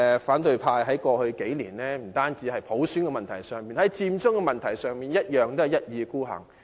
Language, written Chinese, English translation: Cantonese, 反對派在過去數年不單在普選問題上如此，在"佔中"問題上亦是一意孤行。, In the past few years the opposition behaved like this not only on the issue of universal suffrage; on the issue of Occupy Central they were also impervious